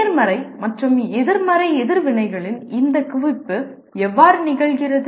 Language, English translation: Tamil, And how does this accumulation of positive and negative reactions take place